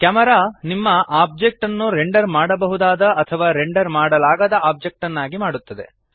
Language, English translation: Kannada, Camera makes your object render able or non renderable